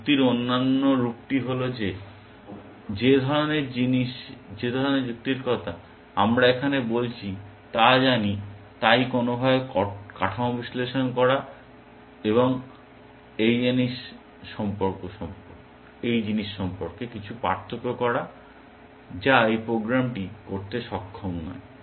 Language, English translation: Bengali, The other form of reasoning is that kind of reasoning that we are talking about here know, analyzing the structure in some way or making some difference about this thing which this program is not able to do